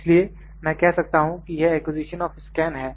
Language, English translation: Hindi, So, it is this is I can say acquisition of scan